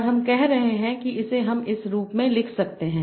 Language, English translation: Hindi, And I'm saying we can write it in this form